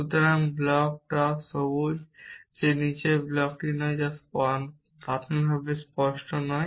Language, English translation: Bengali, So, that the block top is green that the block below is not green it is it is not even initially clear, but it is true